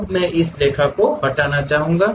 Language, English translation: Hindi, Now, I would like to delete this line